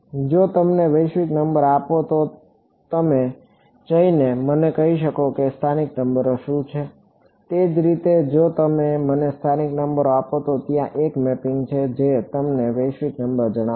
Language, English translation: Gujarati, If you give me the global number you should be able to go and tell me what are the local numbers similarly if you give me the local numbers there is a mapping that will go and tell you the global number